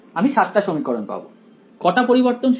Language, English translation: Bengali, I will get 7 equations; in how many variables